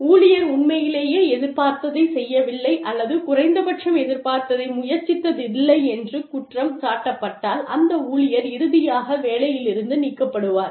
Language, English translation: Tamil, And, if the employee is really found to be guilty, of not having done, whatever was expected, or, at least having tried, whatever was expected, then the employee is finally discharged, from her or his duties